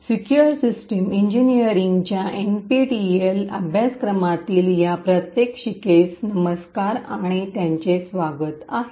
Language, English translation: Marathi, Hello and welcome to this demonstration in the NPTEL course for Secure System Engineering